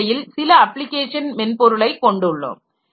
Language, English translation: Tamil, So, we have to have some application programs developed